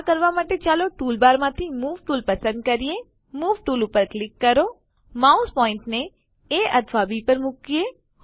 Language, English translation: Gujarati, To do this Lets select the Move tool from the tool bar, click on the Move tool place the mouse pointer on A or B